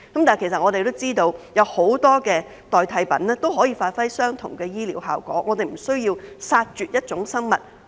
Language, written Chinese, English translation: Cantonese, 但是，我們都知悉，有很多代替品可以達致相同的醫療效果，我們不需要為此殺絕一種生物。, However we all know that there are many alternative options for the same medical outcome without having to exterminate a species